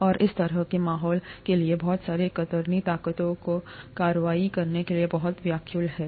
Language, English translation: Hindi, And such an environment is very rife for a lot of shear forces to act